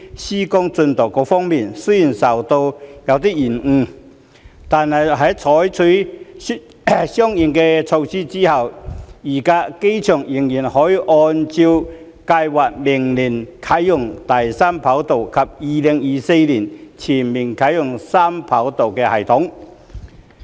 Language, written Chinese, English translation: Cantonese, 施工進度方面，雖然受到延誤，但在採取相應措施後，預計機場仍可按計劃於明年啟用第三條跑道及2024年全面啟用三跑道系統。, As regards the construction progress despite some slippage it was anticipated that after taking corresponding measures HKIA would be able to commission the Third Runway next year and fully commission 3RS in 2024 as scheduled